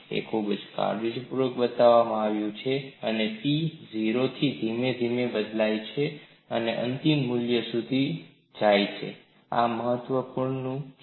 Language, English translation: Gujarati, It is very carefully shown that P varies gradually from 0 to the final value, this is very important